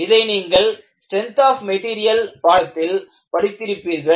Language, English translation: Tamil, This, you might have heard in a course in strength of materials